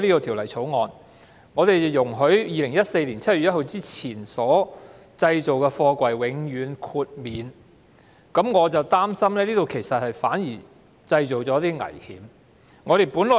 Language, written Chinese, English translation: Cantonese, 《條例草案》獲通過後，於2014年7月1日之前完成建造的貨櫃將獲得永遠豁免，我很擔心這反而製造了危險。, Following the passage of the Bill containers constructed before 1 July 2014 will be granted permanent exemption and I am very worried that they may cause hazards